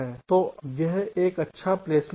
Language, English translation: Hindi, so this is a good placements